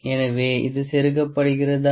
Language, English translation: Tamil, So, is it inserting